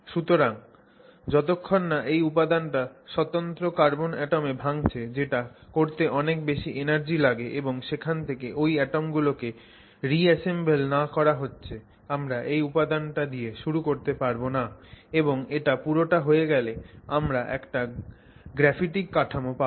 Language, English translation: Bengali, So unless you completely disintegrate this material to individual carbon atoms which will require a very high amount of energy, unless you completely disintegrate this into individual carbon atoms and then reassemble it from there, you are not going to start with this material and end up with a graphic structure